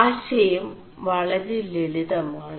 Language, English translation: Malayalam, The idea is very simple